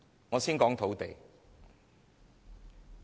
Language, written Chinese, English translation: Cantonese, 我先談談土地。, Let me first talk about land